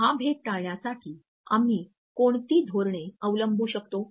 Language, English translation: Marathi, So, what strategies we can adopt to avoid distinction